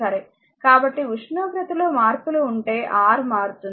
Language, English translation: Telugu, So, if there if there are changes in the temperature so, R will change